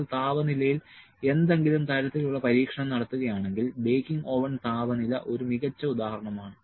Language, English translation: Malayalam, If you are doing some kind of experiments of the temperature baking oven temperature is a good example